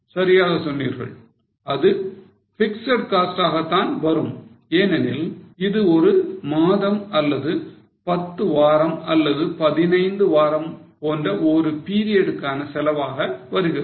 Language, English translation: Tamil, I think you are right, it becomes a fixed cost because it becomes a cost for a period for one month or for 10 weeks or for 15 weeks or so on